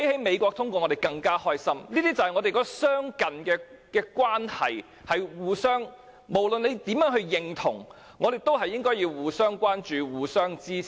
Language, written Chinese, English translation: Cantonese, 那是由於我們相近，互相有所影響，無論大家是否認同，我們也應互相關心、互相支持。, That is due to our proximity and mutual influence . Regardless of whether or not Members agree we should care about and support each other